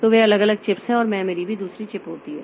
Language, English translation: Hindi, So, they are individual chips and the memory also happens to be another chip